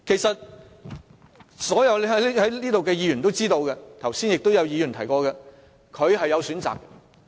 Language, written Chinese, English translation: Cantonese, 所有議員都知道，剛才亦有議員提過，他是有其他選擇的。, As all Members are aware and as mentioned by a Member earlier LEUNG Chun - ying had other options